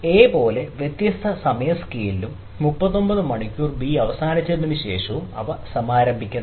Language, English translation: Malayalam, they are launched in different time scale, like a and after ah terminating thirty nine hours of b